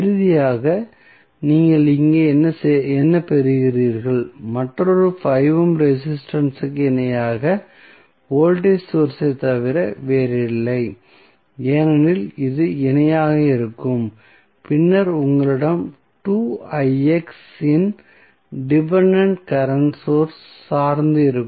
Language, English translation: Tamil, So, finally, what you are getting here is nothing but the voltage source in parallel with another 5 ohm resistance because this will be in parallel and then you will have dependent current source of 2Ix